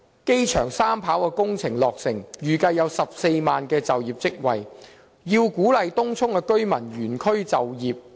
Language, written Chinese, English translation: Cantonese, 機場三跑工程將來落成，預計可創造14萬個就業職位，從而鼓勵東涌居民原區就業。, With the completion of the Three - Runway System 3RS in the future 140 000 jobs are expected to be created thereby encouraging the Tung Chung residents to live and work in the same district